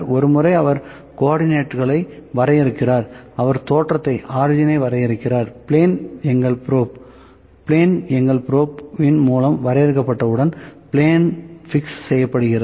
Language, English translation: Tamil, Once, he defines the co ordinates, he defines the origin, he defines the plane if, once the plane is defined by our probe so, it has fixed that plane, ok